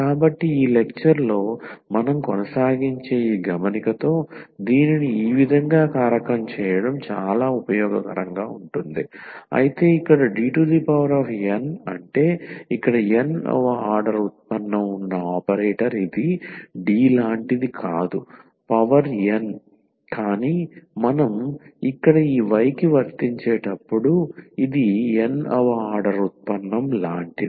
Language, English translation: Telugu, So, with this note here which we will continue in the in the next lecture it is a very useful to factorize this in this in this way though here D n means the operator which have which is the nth order derivative here it is not like D power n, but it is like the nth order derivative when we apply to this y